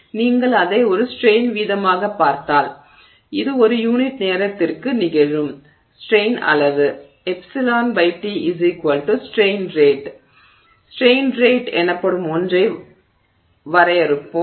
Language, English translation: Tamil, So, if you look at it as a strain rate, which is the amount of strain that is happening per unit time, which is epsilon by t, strain rate, so we will define something called a strain rate